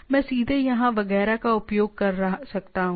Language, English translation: Hindi, I can access directly etcetera here right